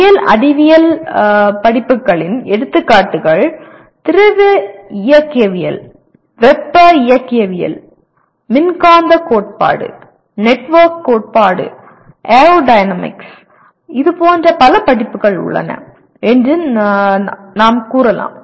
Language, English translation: Tamil, Engineering science courses examples Are Fluid Mechanics, Thermodynamics, Electromagnetic Theory, Network Theory, Aerodynamics; you call it there are several such courses